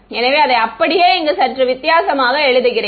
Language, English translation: Tamil, So, I just rewrite it over here